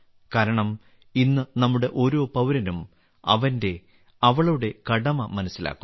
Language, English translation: Malayalam, This is because, today every citizen of ours is realising one's duties